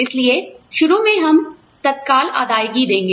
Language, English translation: Hindi, So, initially, we will give the down payment